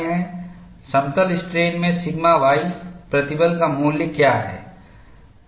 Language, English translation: Hindi, What we are going to do is; what is the value of the sigma y stress in plane strain